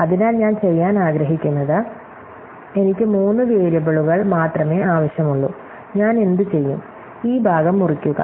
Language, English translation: Malayalam, So, what I want to do is, I want to have only three variables, so what I will do, slice of this part